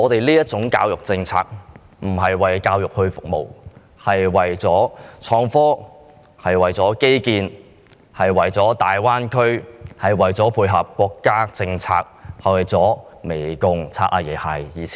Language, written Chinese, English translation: Cantonese, 這種教育政策並非為教育服務，而是為創科、基建、大灣區服務，以及為配合國家政策、媚共及"擦'阿爺'鞋"而設。, This education policy does not serve education but innovation and technology infrastructure and the Greater Bay Area; it also ties in with national policies for the purpose of currying favour with the communist regime and Grandpa